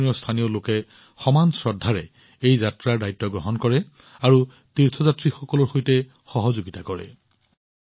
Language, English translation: Assamese, The local people of Jammu Kashmir take the responsibility of this Yatra with equal reverence, and cooperate with the pilgrims